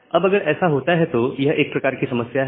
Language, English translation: Hindi, Now, if it happens, so, this is the kind of problem